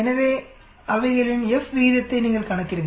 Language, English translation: Tamil, So you calculate their F ratio